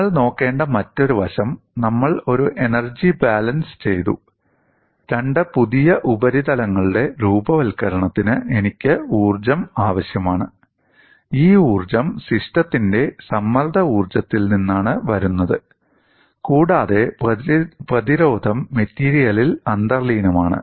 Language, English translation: Malayalam, And another aspect what you will have to look at is we have done an energy balance; we have also said, for the formation of two new surfaces, I need energy, and this energy comes from the strain energy of the system, and the resistance is inherent to the material